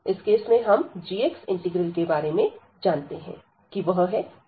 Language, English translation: Hindi, So, in this case we know about this g x integral that this 1 over a square root x